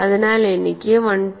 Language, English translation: Malayalam, So, I have 1